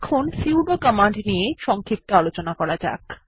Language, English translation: Bengali, Let me give you a brief explanation about the sudo command